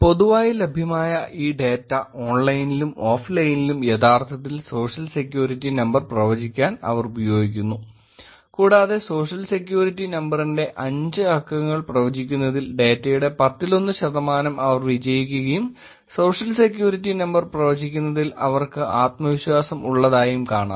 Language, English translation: Malayalam, They use this publicly available data online, offline, all the data to predict actually Social Security Number and they were successful in predicting 1 in 10 percent of the data that they saw with some confidence of the five digits of Social Security Number